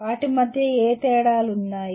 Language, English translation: Telugu, What differences exist between …